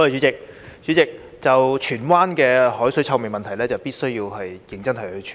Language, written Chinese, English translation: Cantonese, 主席，就着荃灣的海水臭味問題，政府必須認真處理。, President the Government must seriously deal with the seawater odour problem in Tsuen Wan